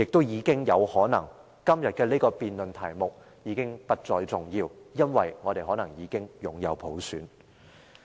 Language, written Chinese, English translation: Cantonese, 而今天的辯論題目更可能已不再重要，因為我們可能已擁有普選。, If this is really the case the subject under debate today might not be that important any more since universal suffrage might have already been implemented here in Hong Kong